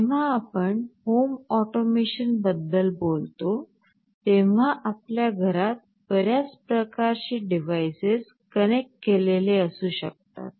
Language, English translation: Marathi, When you talk about home automation, in your home there can be so many kind of devices connected